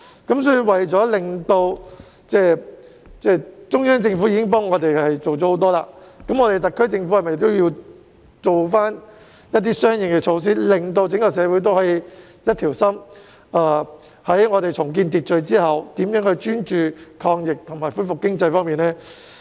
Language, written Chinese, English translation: Cantonese, 既然中央政府已為我們做了很多工夫，那麼特區政府應否採取相應措施，令整個社會上下一心，在重建社會秩序後專注抗疫和恢復經濟發展呢？, As the Central Government has already done a lot for us should the SAR Government take corresponding measures to unite the communities at large so that they can focus on combating the epidemic and resuming economic development after social order is restored?